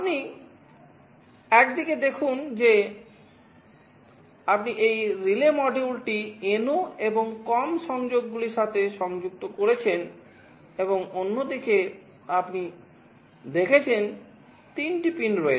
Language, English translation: Bengali, You see on one side you have connected this relay module to the NO and the COM connections, and on the other side there are 3 pins you have seen